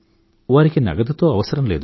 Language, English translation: Telugu, It does not need cash